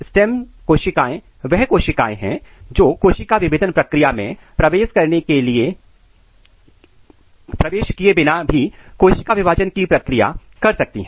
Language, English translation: Hindi, Stem cells are the cells which can undergo the process of cell division without entering in the process of cell differentiation